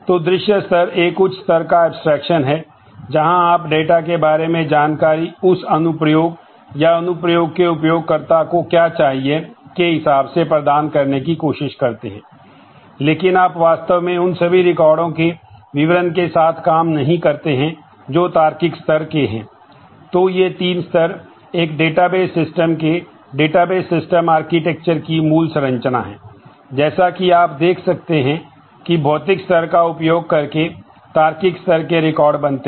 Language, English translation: Hindi, So, view level is a high level where of abstraction where you try to provide the information about the data in terms of what the application needs, what the users of that application need, but you do not actually deal with the details of all the records that the logical level has